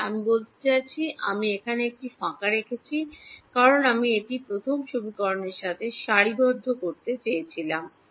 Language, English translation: Bengali, Yeah I mean I am just I left a blank here because I wanted to align it with the first equation that is all